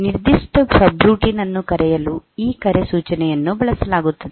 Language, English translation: Kannada, So, the call instruction will be used for calling a particular subroutine